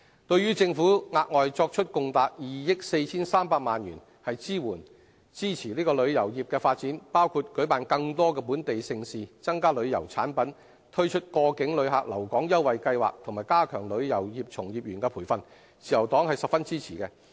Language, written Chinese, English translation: Cantonese, 對於政府額外作出共達2億 4,300 萬元的支援支持旅遊業的發展，包括舉辦更多本地盛事、增加旅遊產品、推出過境旅客留港優惠計劃，以及加強旅遊業從業員培訓，自由黨十分支持。, The Liberal Party very much supports the Governments initiatives to promote the development of the tourism industry by allocating an additional sum of 243 million for inter alia holding more home - grown mega events promoting the diversification of tourism products implementing a scheme to attract transit passengers and overnight visitors and strengthening the training of members of the tourism industry